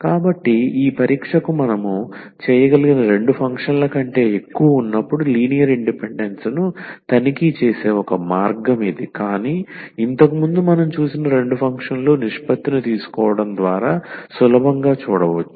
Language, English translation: Telugu, So, this is 1 way of checking linear independence when they are more than two functions we can do for the two functions as well this test, but the earlier one we have seen therefore, two functions one can easily see by taking the ratio of the two functions